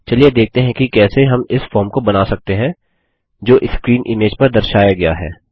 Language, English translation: Hindi, Let us see how we can design this form as shown in the screen image